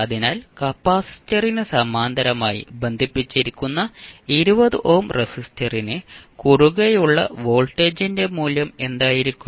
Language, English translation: Malayalam, So what will be the value of voltage across 20 ohm resistor which is in parallel with capacitor